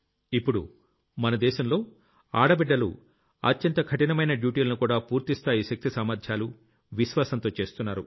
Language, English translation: Telugu, Today the daughters of the country are performing even the toughest duties with full force and zeal